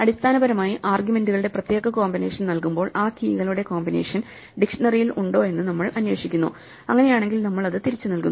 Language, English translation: Malayalam, We basically for given the particular combination of arguments, we look up whether that combination of keys is there in the dictionary if so we look it up and return it